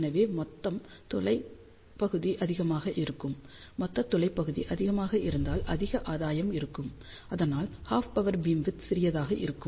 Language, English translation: Tamil, So, total aperture area will be more and if the total aperture area is more gain will be more and hence half power beamwidth will be small